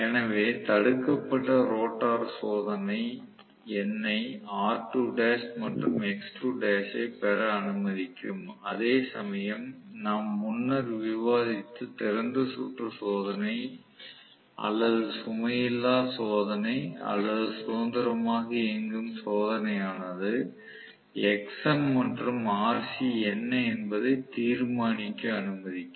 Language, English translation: Tamil, So, block rotor test will allow me to get r2 dash and x2 dash whereas the open circuit test or no load test or free running test which we discussed earlier will allow me to decide what is xm and rc